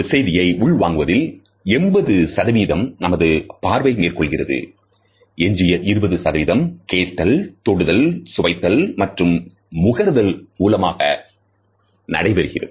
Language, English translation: Tamil, Vision accounts for around 80 percent of our sensory perception, the remaining 20 percent comes from our combined census of hearing, touching, tasting and smelling etcetera